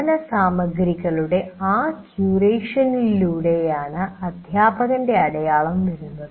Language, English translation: Malayalam, So the stamp of the teacher comes through that curation of the learning material